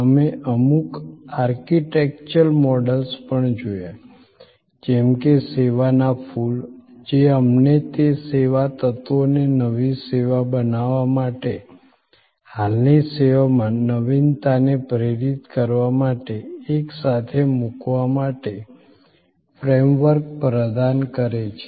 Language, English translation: Gujarati, We also looked at certain architectural models, like the flower of service, which provide us frameworks for putting those service elements together to create a new service, to inspire innovation in an existing service and so on